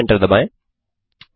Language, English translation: Hindi, Then again Enter